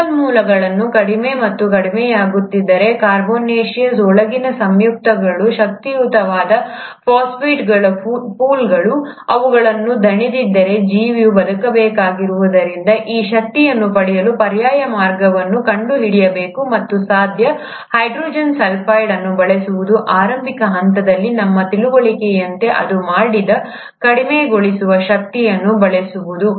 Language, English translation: Kannada, So if the resources are getting lower and lower, all that pool of carbonaceous inner compounds, energy rich phosphates, if they are getting exhausted, the organism, since it needs to survive, has to find alternate means of obtaining this energy, and one possible way by which it would have done that would have been to use the reducing power which it did, as per our understanding in the initial phases using hydrogen sulphide